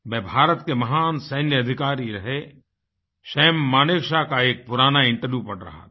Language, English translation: Hindi, I was reading an old interview with the celebrated Army officer samManekshaw